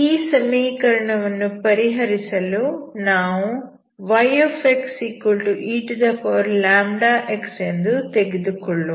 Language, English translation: Kannada, So to solve this equation let y =eλx